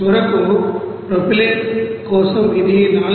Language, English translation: Telugu, So finally for propylene it is coming 463